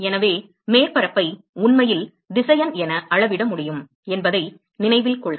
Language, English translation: Tamil, So, note that surface area can actually be quantified as vector